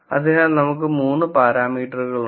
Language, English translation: Malayalam, So, we have 3 parameters